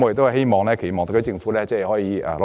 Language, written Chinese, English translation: Cantonese, 我期望特區政府可以努力。, I hope the SAR Government will put in more efforts